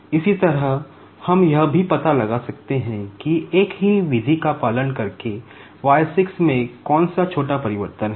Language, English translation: Hindi, Similarly, we can also find out, what is the small change in y 6 by following the same method